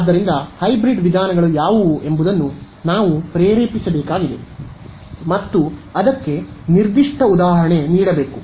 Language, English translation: Kannada, So, of course, we need to motivate what hybrid methods are and give a particular example of a hybrid method